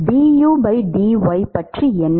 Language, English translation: Tamil, What about du by dy